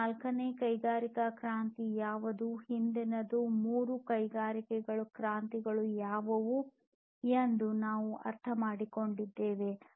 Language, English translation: Kannada, We have understood, what is this fourth industrial revolution, what were what were the previous three industrial revolutions that we have seen